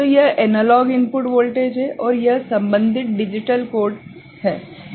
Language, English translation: Hindi, So, this is the analog input voltage, and this is the corresponding digital code ok